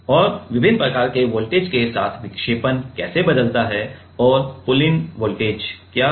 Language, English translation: Hindi, And how the deflection changes with different kind of voltages and what is pullin voltage